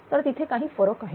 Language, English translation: Marathi, So, these are certain differences